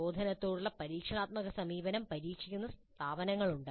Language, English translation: Malayalam, Still there are institutes which are trying the experiential approach to instruction